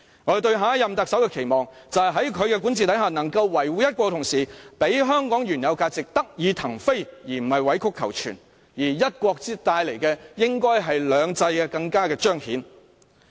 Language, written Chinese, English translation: Cantonese, 我對下任特首的期望，就是在其管治下，"一國"得以維護，同時讓香港原有價值得以騰飛，而不是委曲求全；隨"一國"而來的，應是"兩制"更得以彰顯。, My expectations for the next Chief Executive being that the policy of one country will be well protected while the original values of Hong Kong can take flight under his governance without having to make great concessions . Along with the one country comes the two systems